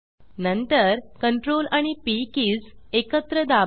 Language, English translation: Marathi, Then, press the keys Ctrl and P together